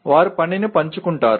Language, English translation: Telugu, They will share the work